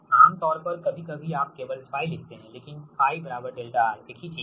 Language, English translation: Hindi, generally, sometimes you write phi only, but phi is equal to delta r, right same thing